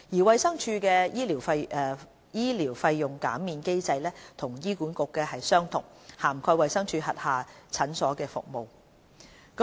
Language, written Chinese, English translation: Cantonese, 衞生署的醫療費用減免機制與醫管局的相同，涵蓋衞生署轄下診所的服務。, DH has also implemented a similar mechanism of medical fee waivers for health care services provided by its clinics